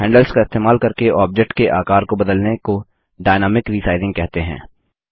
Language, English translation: Hindi, Resizing using the handles of an object is called Dynamic Resizing